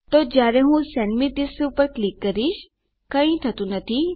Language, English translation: Gujarati, So when I click Send me this, nothing happens